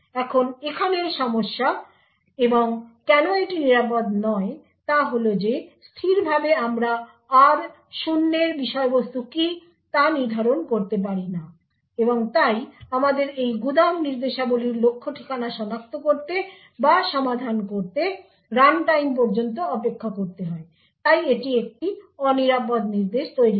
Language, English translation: Bengali, Now the problem here and why it is unsafe is that statically we may not be able to determine what the contents of R0 is and therefore we need to wait till runtime to identify or resolve the target address for this store instructions therefore this forms an unsafe instructions